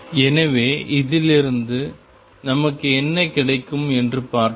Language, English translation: Tamil, So, let us see what do we get from this